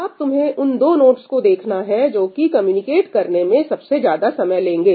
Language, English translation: Hindi, You are supposed to look at the 2 nodes which will take the longest time to communicate with each other